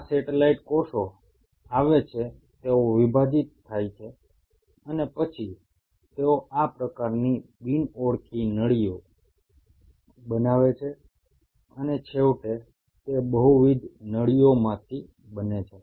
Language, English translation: Gujarati, These satellite cells come, they divide and then they form these kind of non identifying tubes and eventually they form multiple multi nuclated tubes